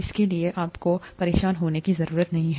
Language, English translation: Hindi, You do not have to worry about that